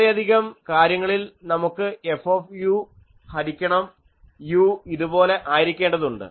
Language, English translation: Malayalam, In many cases, we require F u by u to be like this